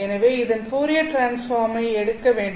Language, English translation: Tamil, Let us look at what is the Fourier transform